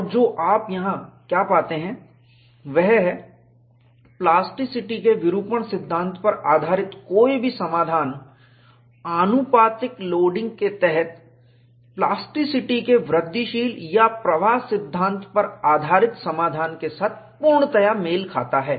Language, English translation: Hindi, And what you find here is, any solution based on the deformation theory of plasticity, coincides exactly with a solution based on the incremental or flow theory of plasticity, under proportional loading